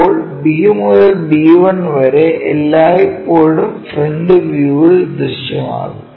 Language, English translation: Malayalam, Now, B to B 1 always be visible in the front view